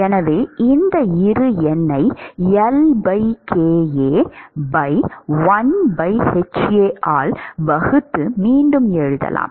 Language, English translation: Tamil, So, we could rewrite this Bi number as L by kA divided by 1 by hA